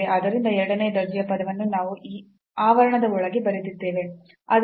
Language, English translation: Kannada, So, the second order term so that also we have written inside this these parentheses